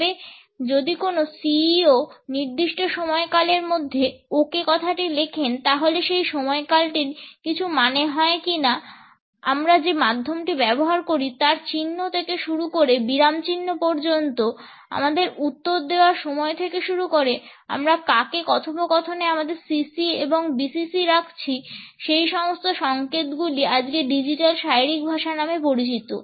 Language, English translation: Bengali, Or, if a CEO writes in ok with a period does that period mean something, everything from the trace of the medium we use to the punctuation we used to the timing of our response to who we CC and BCC in our conversations are signals at digital body language today